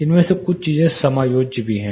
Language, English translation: Hindi, some of these things are also adjustable